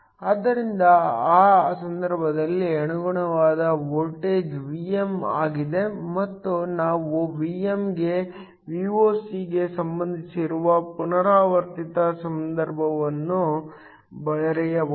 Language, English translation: Kannada, So, In that case the corresponding voltage is Vm and we can write a recursive relationship that relates Vm to Voc